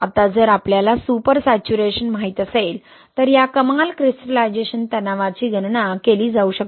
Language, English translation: Marathi, So we saw that super saturation gives rise to crystallization stress